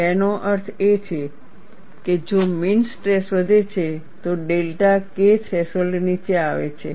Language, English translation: Gujarati, That means, if the mean stress is increased, the delta K threshold comes down